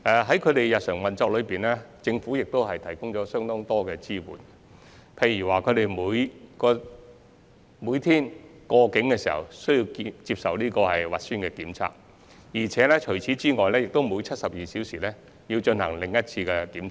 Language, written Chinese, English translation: Cantonese, 在他們的日常運作中，政府亦提供相當多支援，例如他們每天首次過境時需接受核酸檢測，並需每隔72小時進行另一次檢測。, Meanwhile the Government has been providing considerable support to their daily operation . For example they are required to undergo nucleic acid tests when they cross the boundary for the first time every day and then take another test every 72 hours